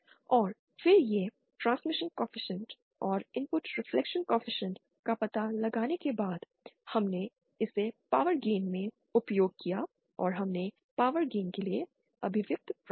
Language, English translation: Hindi, And then after finding out this transmission coefficient and the input reflection coefficient, we plugged it in the question for the power gain and we derived the expression for the power again